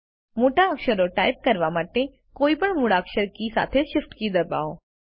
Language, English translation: Gujarati, Press the shift key together with any other alphabet key to type capital letters